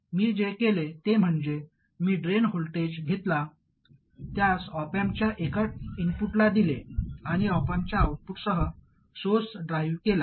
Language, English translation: Marathi, What I did was I took the drain voltage fed it to one of the inputs of the op amp and drive the source with the output of the op amp